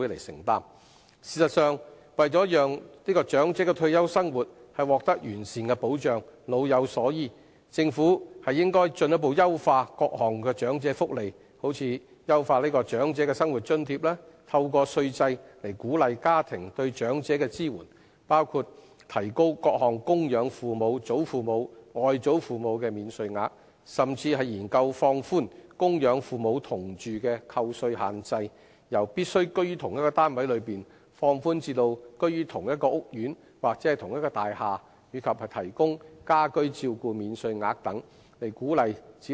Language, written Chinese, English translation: Cantonese, 事實上，為讓長者退休生活獲得完善的保障，老有所依，政府應進一步優化各項長者福利，例如優化長者生活津貼；透過稅制以鼓勵家庭對長者的支援，包括提高各項供養父母、祖父母及外祖父母的免稅額，甚至研究放寬供養父母同住的扣稅限制，由必須居於同一單位內，放寬至居於同一屋苑或同一大廈，以及提供家居照顧免稅額等，以鼓勵子女照顧父母。, To provide the elderly with better retirement protection the Government should further improve various elderly welfare initiatives such as the Old Age Living Allowance and encourage family support for the elderly through tax concessions including increasing the tax allowance for maintaining dependent parents and grandparents . The Government should even consider relaxing the restriction on the tax allowance for maintaining parents residing with the taxpayer . Instead of having to live in the same flat a tax allowance should also be offered to those who live in the same housing estate or the same building and provide home care so as to encourage people to take care of their parents